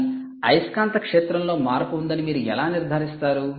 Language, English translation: Telugu, what it does is it measures the change in magnetic field